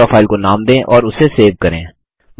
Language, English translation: Hindi, Lets name our Draw file and save it